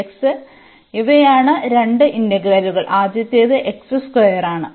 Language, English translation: Malayalam, So, these are the two integral the first one is x square